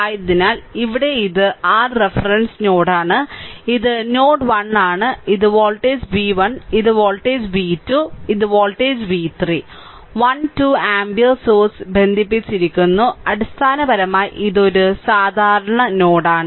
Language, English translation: Malayalam, So, here this is your reference node and you have this is node 1, this is voltage v 1, this is voltage v 2 and this is voltage v 3 right and 1 2 ampere source is connected basically this this is a common node right